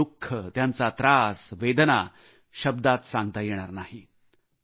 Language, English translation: Marathi, Their agony, their pain, their ordeal cannot be expressed in words